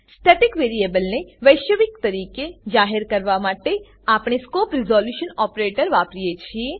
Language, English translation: Gujarati, To declare the static variable globally we use scope resolution operator